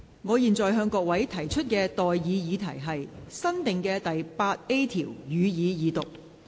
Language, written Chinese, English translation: Cantonese, 我現在向各位提出的待議議題是：新訂的第 8A 條，予以二讀。, I now put the question to you and that is That clause 7 as amended stand part of the Bill